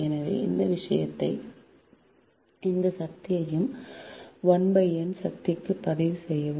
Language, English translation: Tamil, so log of all this thing and this power to the power, one upon n, right